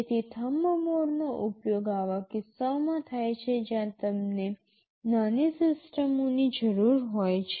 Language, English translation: Gujarati, So, Thumb mode is used for such cases where you need small systems